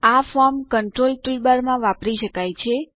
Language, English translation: Gujarati, This can be accessed in the Form Controls toolbar